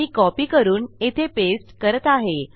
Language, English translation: Marathi, Let me copy and past that down there